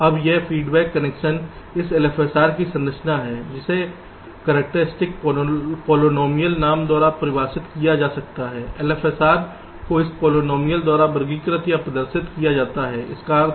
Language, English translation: Hindi, now this feedback connection are the structure of this l f s r can be defined by something called the characteristic polynomial, like this: particular for for l f s r is represented or characterized by this polynomial